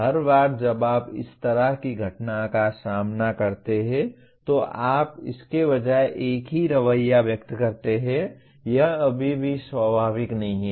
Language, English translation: Hindi, That is every time you confront the similar event, you express the same attitude rather than, it is not natural still